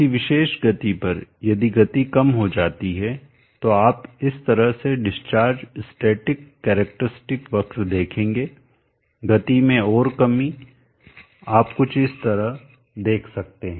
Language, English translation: Hindi, If the speed is reduced you will see the discharge static characteristic curve like this further reduction on the speed you may see something like this